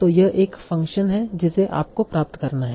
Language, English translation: Hindi, So that is another function that you have to obtain